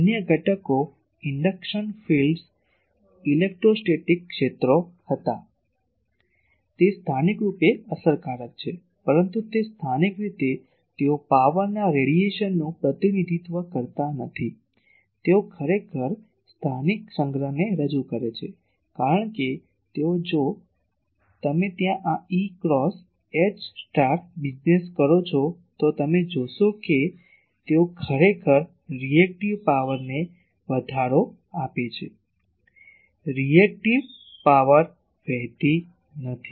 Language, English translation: Gujarati, Other components was induction fields electrostatic fields, they are effective locally, but they are locally they do not represent radiation of power, they actually represent local storage, because they are if you do this E cross H star business there, then you will see that they actually give raise to reactive power, reactive power does not flow